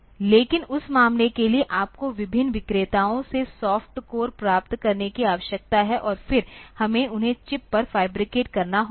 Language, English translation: Hindi, But, for that matter you need to get the soft cores from different vendors and then we have to fabricate them on to the chip